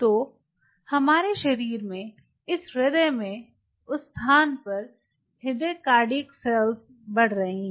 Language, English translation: Hindi, so in our body, or this heart, there are heart, cardiac cells growing in that location